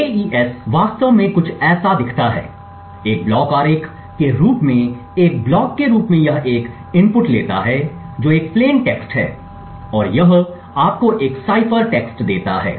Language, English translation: Hindi, The AES actually looks something like this… as a block diagram as a block it takes an input which is a plain text and it gives you a cipher text C